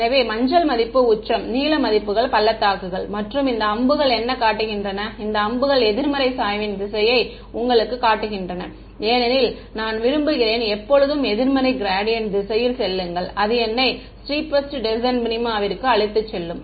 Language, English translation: Tamil, So, yellow value is the peak, blue values are the valleys and what are these arrows showing you these arrows are showing you the direction of the negative gradient because I want to always go in the direction of negative gradient that is the steepest descent that will take me to the minima